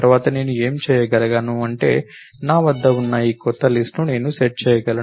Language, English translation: Telugu, Next, what I can do is I can set this new list that I have